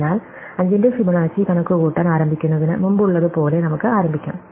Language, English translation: Malayalam, So, let us start as before we wanted to start computing the Fibonacci of 5